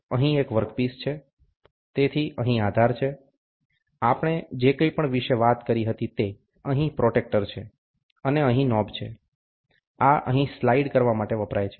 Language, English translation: Gujarati, Here is a work piece, so here is the base, whatever we talked about, here is the protractor, and here is the knob, this is used to slide here